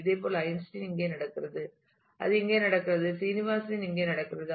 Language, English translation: Tamil, Similarly, Einstein happens here and it happens here Srinivasan happens here in